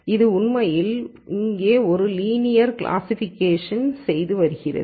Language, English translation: Tamil, It is actually doing a linear classification here